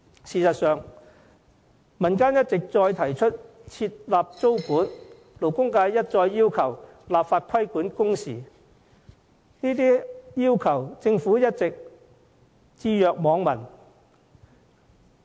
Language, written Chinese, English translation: Cantonese, 事實上，民間一再提出設立租管，勞工界一再要求立法規管工時，政府對這些訴求卻一直置若罔聞。, In fact the Government has long been turning a deaf ear to the communitys suggestion of imposing rent control and the aspiration of legislating on working hours raised repeatedly by the labour sector